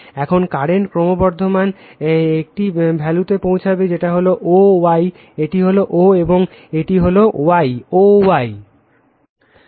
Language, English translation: Bengali, Now, current is increasing, you will reach a value that value that is o y, this is o, and this is your y, o y right